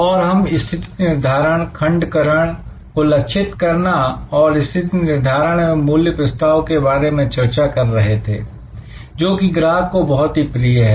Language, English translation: Hindi, And we are discussing about positioning, segmentation targeting and positioning and creating a value proposition, which customers will love